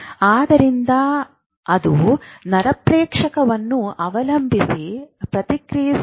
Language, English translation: Kannada, So they will counteract depending on the neurotransmit which is going